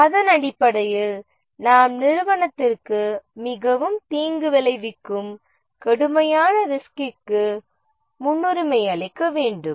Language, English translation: Tamil, And based on that, we can prioritize the risk, the one which will be most damaging to the project that will be the most serious risk